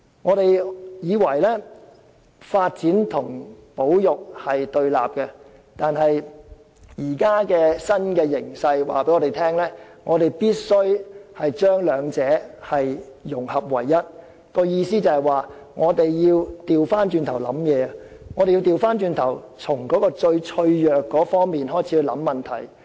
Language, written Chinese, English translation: Cantonese, 我們本來以為發展和保育兩者是對立的，但現時的新形勢卻告訴我們，必須把兩者融合為一，即是要反過來思考，從最脆弱的方面開始思考問題。, We originally consider that development and conservation are opposing each other but under the existing new trends we understand that development should be blended with conservation . In other words we must engage in reverse thinking and start considering the whole issue from the most vulnerable aspect